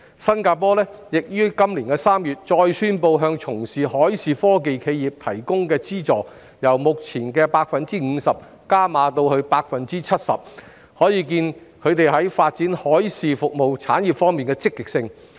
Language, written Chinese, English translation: Cantonese, 新加坡亦於今年3月再宣布向從事海事科技企業提供的資助由目前的 50% 增加至 70%， 可見其在發展海事服務產業方面的積極性。, Singapore also announced an increase in the subsidies provided to the enterprises engaging in maritime technology business from the current 50 % to 70 % in March demonstrating its enthusiasm in developing the maritime services industry